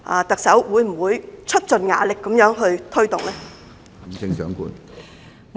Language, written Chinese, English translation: Cantonese, 特首，會不會出盡"牙力"推動呢？, Chief Executive will utmost efforts be made on such initiatives?